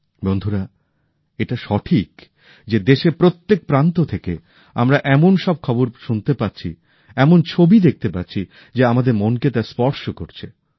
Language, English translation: Bengali, Friends, it is right, as well…we are getting to hear such news from all corners of the country; we are seeing such pictures that touch our hearts